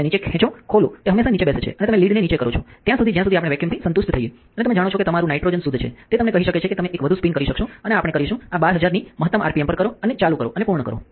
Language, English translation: Gujarati, Open it pull down it always sit down and after you lower the lid as long as we are vacuum is satisfied and your nitrogen purge you know tell you that is well could you one more spin and we will do this at the maximum rpm of 12000 and so, on so, on and done